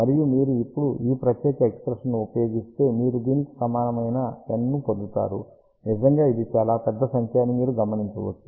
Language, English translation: Telugu, And if you use now this particular expression, you get N equal to this; you can see that it is really a very, very large number